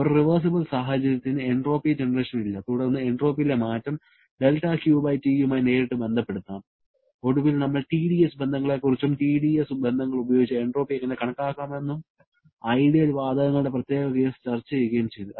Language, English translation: Malayalam, For a reversible situation, the entropy generation is not there, then the change in entropy can directly be related to del Q/T and finally we talked about the T dS relations, how to calculate entropy using the T dS relations and discussed the specific case of ideal gases